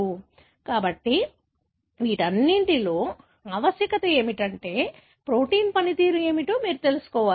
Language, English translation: Telugu, So, in all these, the prerequisite is that, you should know what is the function of the protein